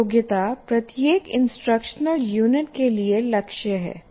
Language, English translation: Hindi, A competency is a goal for each instruction unit